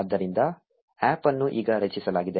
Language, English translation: Kannada, So, the APP has now been created